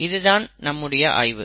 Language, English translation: Tamil, This is the analysis